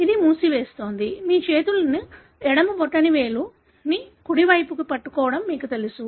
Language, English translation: Telugu, It is closing your, you know clasping your hands the left thumb over right